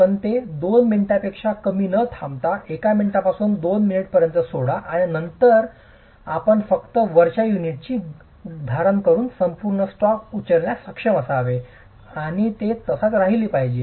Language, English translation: Marathi, You leave it for not more than two minutes, a minute to two and then you should be able to pick up the entire stack by just taking the, by just holding the top unit and it should stay